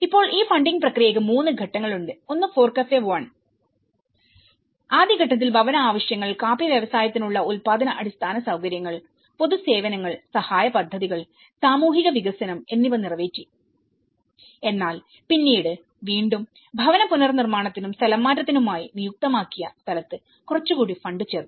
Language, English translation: Malayalam, Now, they have been 3 phases of this funding process, one is the FORECAFE 1 which has met the first stage met the housing needs, productive infrastructures for the coffee industry, public services and programmes of assistance and social development whereas, again therefore later on some more fund has been added this is where it was designated for housing reconstruction and relocation